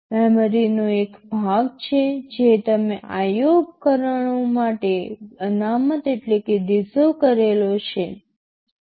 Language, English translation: Gujarati, TNow there is 1 one part of memory which that you reserved for the IO devices